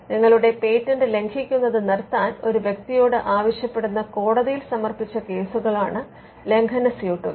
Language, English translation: Malayalam, So, infringement suits are the are cases filed before the court where you ask a person to stop infringing your patent